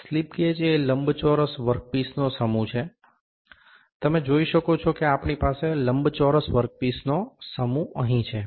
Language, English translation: Gujarati, Slip gauges is a set of the rectangular work pieces, you can see we have a set of rectangular work pieces here